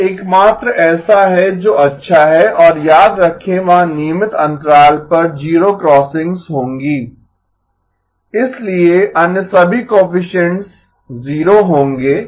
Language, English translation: Hindi, That is the only one that is good and remember there will be zero crossings at regular intervals, so all other coefficients will be 0